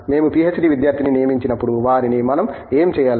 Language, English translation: Telugu, When we recruit a PhD student we tell them, what should we do